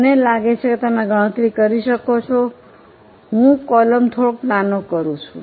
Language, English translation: Gujarati, I'm just making these columns slightly smaller